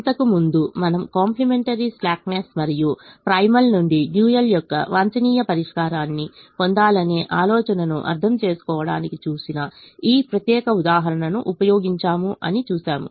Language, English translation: Telugu, let's take this example that we have seen just previously to understand the complimentary slackness and the the idea of getting the optimum solution of the dual from that of the primal